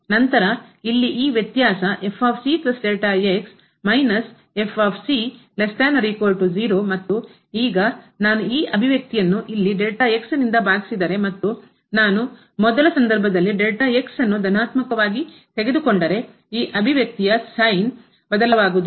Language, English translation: Kannada, And, now if I divide this expression here by and if I in the first case I take as positive, then the sign of this expression will not change